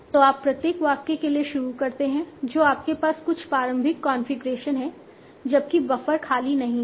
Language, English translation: Hindi, So we start for each sentence you have some initial configuration while buffer is not empty